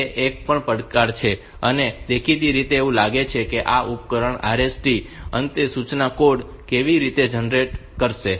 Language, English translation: Gujarati, So, that is a challenge, apparently it seems that how a device will generate the RST end instruction code